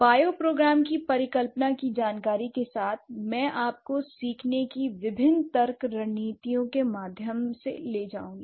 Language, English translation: Hindi, So, with this information about the bio program hypothesis, I would request you or I would lead you through different reasoning strategies of learning